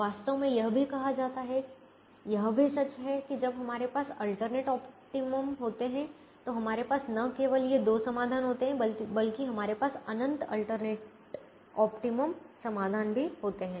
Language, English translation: Hindi, in fact, it's also said, it's also true that when we have alternate optimum, we not only have these two solutions, we also have infinite alternate optimum solutions